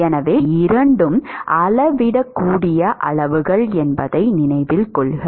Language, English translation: Tamil, So, note that these two are measurable quantities